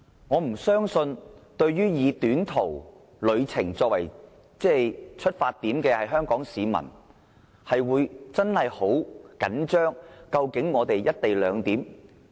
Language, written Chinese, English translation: Cantonese, 我不相信作短途旅程的香港市民，會緊張到非要"一地兩檢"不可。, I do not believe that Hong Kong people taking short - haul journeys are very anxious about the implementation of the co - location arrangement